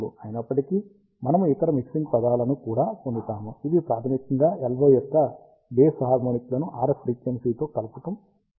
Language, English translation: Telugu, However, we also get various other mixing terms, which are basically mixing of odd harmonics of LO with the RF frequency